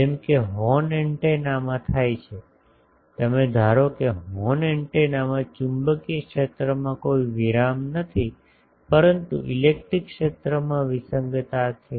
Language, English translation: Gujarati, As happens suppose in a horn antenna, suppose in a horn antenna there is no discontinuity in the magnetic field, but there is a discontinuity in the electric field